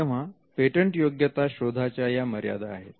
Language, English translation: Marathi, The patentability search has it is own limitations